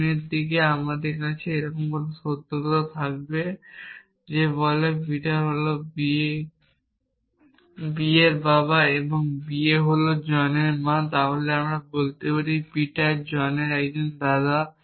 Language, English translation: Bengali, In the forward direction I would have this fact somewhere that says Peter is the father of marry and marry is a mother of John, then I can show that Peter is a grandfather of john by going in a forward direction